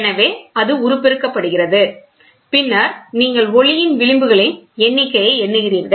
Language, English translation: Tamil, So, it gets amplified and then you count the number of fringes